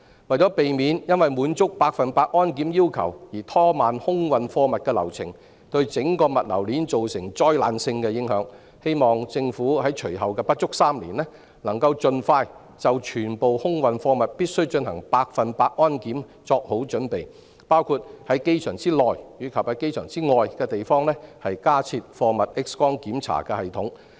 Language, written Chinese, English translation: Cantonese, 為了避免因要滿足百分之一百保安檢查的要求而拖慢空運貨物的流程，對整個物流鏈造成災難性的影響，我希望政府在隨後的不足3年，能夠盡快就全部空運貨物必須進行百分之一百安檢做好準備，包括在機場內外的地方加設貨物 X 光檢查系統。, To avoid slowing down the air freight process as a result of satisfying the requirement of 100 % security screening and thus causing disastrous effects on the logistics chain as a whole I hope the Government will in the coming less than three years get prepared as soon as possible for the 100 % security screening of all air cargoes including installing additional cargo X - ray screening systems inside and outside the airport